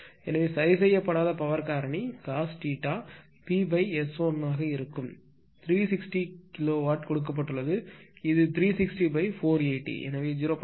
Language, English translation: Tamil, So, therefore, the uncorrected power factor cos theta will be P upon S 1 this P actually give 360 kilowatt this is given this is given therefore, it is 360 upon 480, so 0